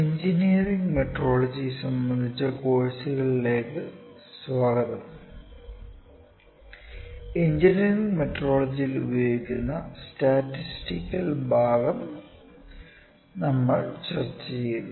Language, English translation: Malayalam, Welcome back to the course on Engineering Metrology and we have discussed the statistical part that is used in engineering metrology